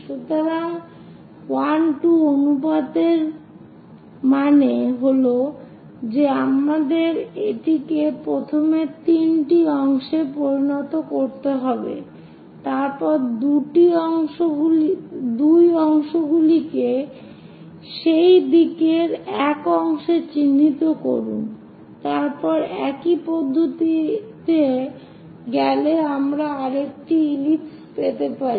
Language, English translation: Bengali, So 1 2 ratio that means we have to make it into 3 parts first of all, then locate 2 parts in that direction 1 part then go with the same procedure we will get another ellipse